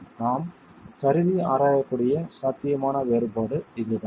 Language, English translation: Tamil, So, this is the possible difference that you should see